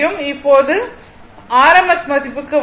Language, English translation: Tamil, Now, come to rms value